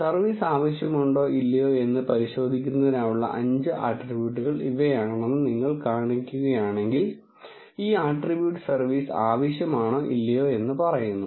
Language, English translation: Malayalam, And if you see these are the five attributes which are measured for testing whether the service is needed or not, and this attribute is basically saying if service is needed or not